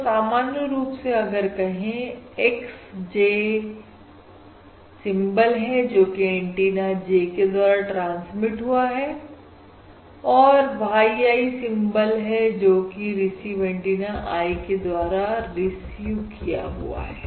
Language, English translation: Hindi, okay, So x j is basically symbol transmitted on transmit antenna j and y i is the symbol received on on receive antenna, on the receive antenna i